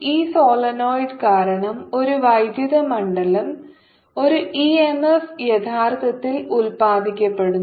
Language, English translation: Malayalam, so here is a solenoid and so because of this solenoid electric field, e m f is produce